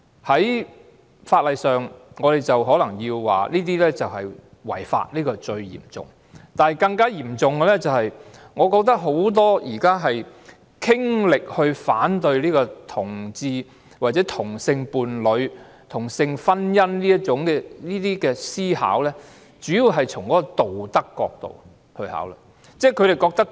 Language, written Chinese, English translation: Cantonese, 在法例上，我們可能說同性婚姻是違法的，但更嚴重的是，我覺得現時很多傾力反對同志、同性伴侶或同性婚姻的人士，主要是從道德角度考慮。, As far as law is concerned we may say that same - sex marriage is illegal but what makes things worse is that I think many people who currently go into overdrive to oppose homosexuality homosexual partnership or same - sex marriage consider the issues mainly from a moral perspective